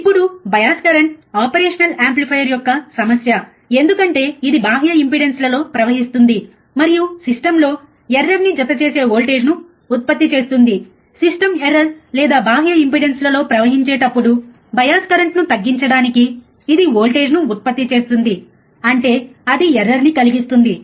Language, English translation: Telugu, Now, bias current is a problem of the operation amplifier because it flows in external impedances and produces voltage which adds to system error, to reduce the system error or the bias current when it flows in the external impedances, right it produces voltage; that means, it will cause a error